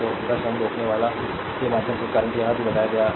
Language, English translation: Hindi, So, current through 10 ohm resistor, this is also told you